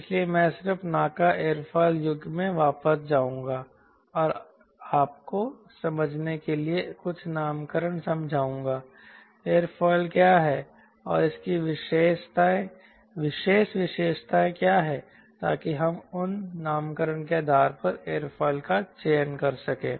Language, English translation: Hindi, so i will just go back to the naca aerofoil ah era and explain you some nomenclature to understand ah, what is the aerofoil and what are its special features, so that we can select aerofoil based on those nomenclature